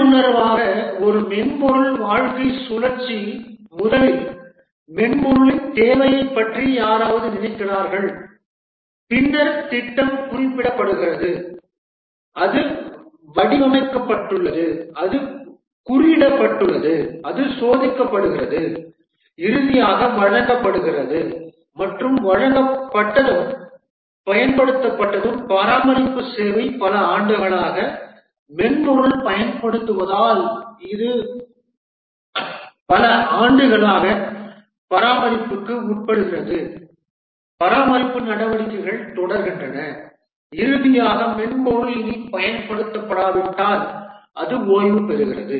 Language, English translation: Tamil, Intuitively the software lifecycle consists of first somebody thinks of the project, the need for the software and then the project is specified it is designed it is coded it is tested finally delivered and once it is delivered and used it needs maintenance and it undergoes maintenance for number of years as the software gets used over many years, maintenance activities proceed